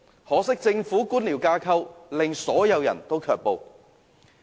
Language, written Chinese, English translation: Cantonese, 可惜，政府的官僚架構卻令所有廠戶卻步。, It is a shame that they have been held back by the Governments bureaucracy